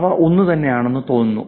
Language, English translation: Malayalam, I want to know whether it's the same person